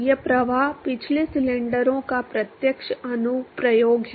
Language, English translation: Hindi, That is the direct application of flow past cylinders